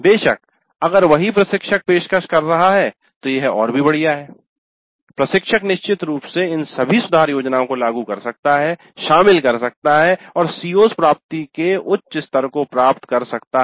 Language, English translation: Hindi, Of course if the same instructor is offering it is all the more great the instructor can definitely implement incorporate all these improvement plans and achieve higher levels of CO attainment